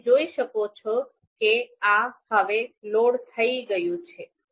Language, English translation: Gujarati, So you can see now this is loaded